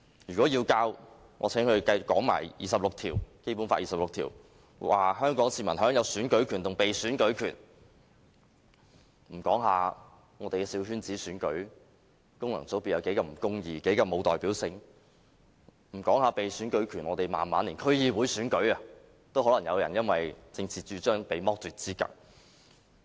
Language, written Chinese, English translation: Cantonese, 如果要教，我請它也說一說《基本法》第二十六條，香港市民享有選舉權和被選舉權；說一說我們的小圈子選舉，功能界別是多麼不公義，多麼沒有代表性；說一說被選舉權，我們慢慢連區議會選舉都可能有人因為政治主張被剝奪資格。, If the Government wants to teach the Basic Law I must ask it also to discuss Article 26 which gives Hong Kong people the right to stand in elections and be elected . I also ask it to talk about the coterie elections now and about the unjust and unrepresentative functional constituencies . I must ask it to discuss the right to be elected because even in District Council elections people may gradually be deprived of their candidacy due their political convictions